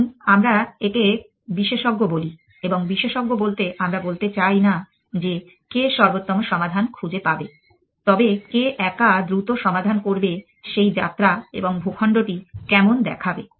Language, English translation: Bengali, Let us see call when expert and by expert we mean not necessarily who will find optimal solution, but who will solve it quickly according to alone solution, how will the terrain how will that journey look like